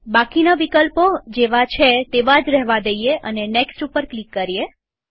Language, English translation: Gujarati, Leave all the options as they are and click on Next